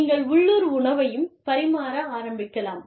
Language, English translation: Tamil, You could start serving, local meals also